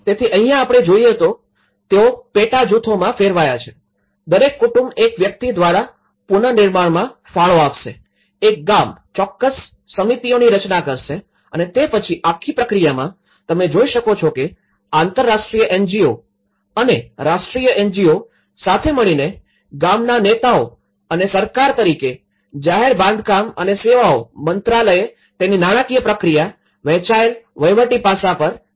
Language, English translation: Gujarati, So, here, what one can look at it is; like here they channelled into subgroups, each family is going to contribute one person for the reconstruction that way, one village will form certain committees and then in that whole process, you can see that village leaders in collaboration with international NGO and the national NGO and as the government, the Ministry of Public Works and Services who also looked at the financial process of it, the shared administrative aspect